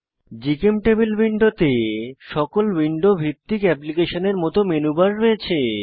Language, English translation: Bengali, GChemTable window has Menubar like all window based applications